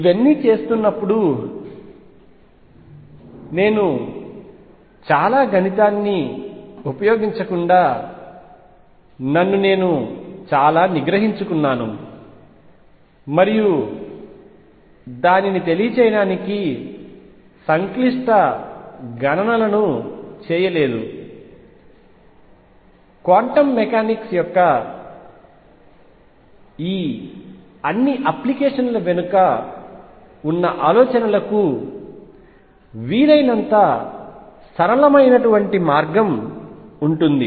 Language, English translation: Telugu, In doing all this, I have restrained myself in that I did not use a lot of mathematics and avoided complicated calculations to convey it you will as simpler way as possible to the ideas behind all these applications of quantum mechanics there is much more to be done